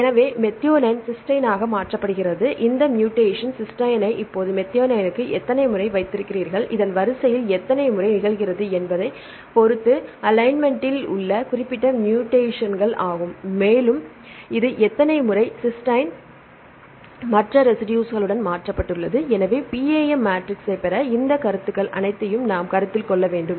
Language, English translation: Tamil, So, so methionine is replaced to cysteine right; how far how many times that they have this mutation cysteine to methionine right now this is the specific mutations in the alignment that depends upon how many times this occurs in the sequence and also this is how many times cysteine is mutated to other residues right